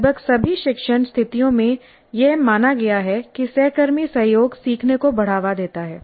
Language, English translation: Hindi, This has been recognized in almost all the instructional situations that peer collaboration promotes learning